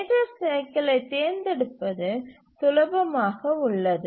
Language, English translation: Tamil, Choosing the major cycle is rather straightforward